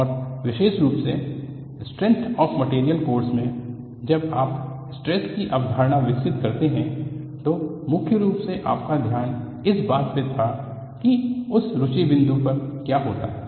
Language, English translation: Hindi, And particularly, in a course instrength of materials, while you develop the concept of stress, the focus was mainly on what happens at a point of interest